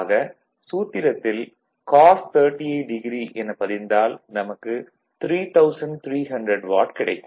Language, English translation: Tamil, So, it is cos 38 degree so, that is why it is cos 38 degree, it is 3300 watt